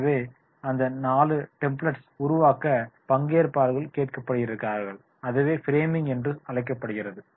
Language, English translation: Tamil, So, the trainees are to be asked to create that four templates that is called the framing